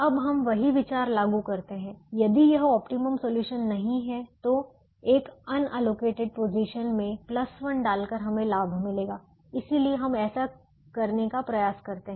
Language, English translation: Hindi, now we apply the same idea: if this is not the optimum solution, then putting a plus one in an unallocated position should give us a gain